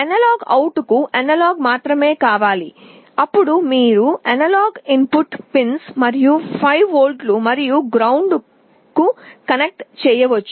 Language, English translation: Telugu, The analog out you can connect to one of the analog input pins and 5 volts and ground